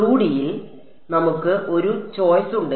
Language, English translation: Malayalam, In 2 D however, we have a choice ok